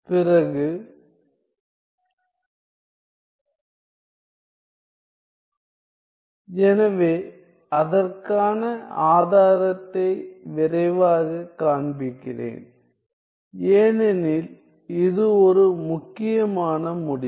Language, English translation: Tamil, So, let me show you the proof quickly because, this is quite an important result